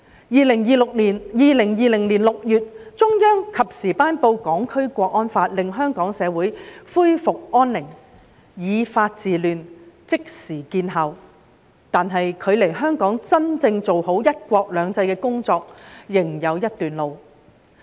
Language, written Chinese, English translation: Cantonese, 2020年6月，中央及時頒布《香港國安法》，令香港社會恢復安寧，以法治亂，即時見效，但距離香港真正做好"一國兩制"的工作仍有一段路。, In June 2020 the Central Authorities timely promulgated the National Security Law to restore peace in Hong Kong society . The promulgation of law to halt chaos brought immediate effect . Yet there is still a long way to go for Hong Kong to properly implement one country two systems